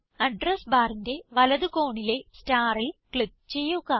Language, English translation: Malayalam, In the Address bar, click on the yellow star